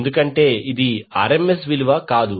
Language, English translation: Telugu, Because, this is not the RMS value